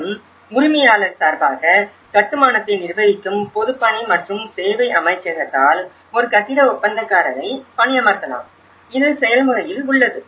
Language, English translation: Tamil, And also, a building contractor would may be hired by the Ministry of Public Works and services who manages the construction on behalf of the owner, so that is process